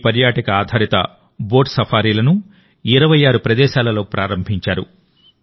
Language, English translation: Telugu, This Tourismbased Boat Safaris has been launched at 26 Locations